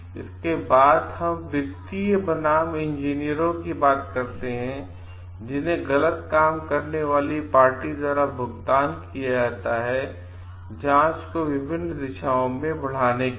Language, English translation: Hindi, Next is we can talk of financial versus engineers, who are paid by the party at fault to move the investigations in different directions